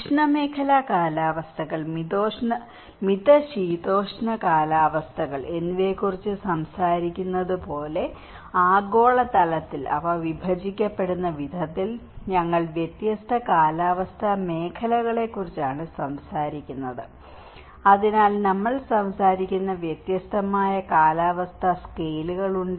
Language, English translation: Malayalam, Again, we are talking about different climatic zones, in a globally how they are divided like we are talking about the tropical climates, temperate climates, so there is a different scales of climate which we are also talking about